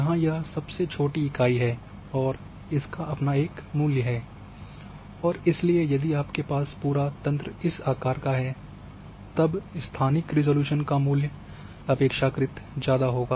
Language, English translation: Hindi, So, here you are having the smallest unit and it will have its own value, and therefore if you are having an entire grid having this much size of cell then it is relatively is going to be the higher spatial resolution